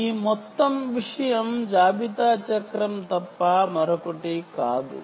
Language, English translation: Telugu, this whole thing is nothing but the inventory cycle